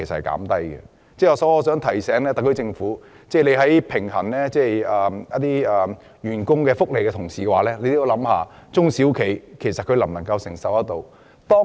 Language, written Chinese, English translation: Cantonese, 我想提醒特區政府，在考慮員工福利的同時，亦要顧及中小企的承受能力。, I would like to remind the SAR Government that when improving employees welfare it has to consider the affordability of SMEs